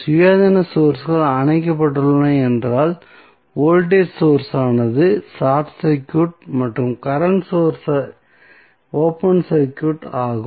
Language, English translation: Tamil, Independent Sources turned off means, the voltage source would be short circuited and the current source would be open circuit